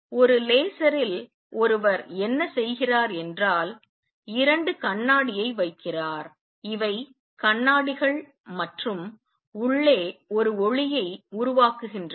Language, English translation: Tamil, What one does in a laser is puts two mirrors, these are mirrors and generates a light inside